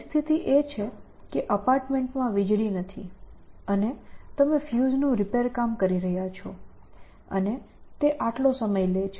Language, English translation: Gujarati, So, the situation is that lights have gone out in the apartment and you are repairing the fuse and it takes you that much time